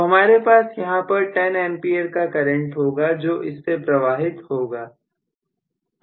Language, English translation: Hindi, So, basically, I am going to have a current of 10 A flowing through this